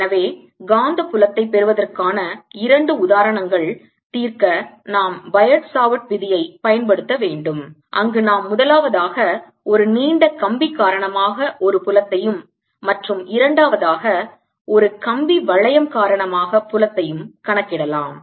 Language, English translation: Tamil, so we have to solve two examples of getting magnetic field using bio savart's law, where we calculate: one, the field due to a long wire and two, the field due to a ring of wire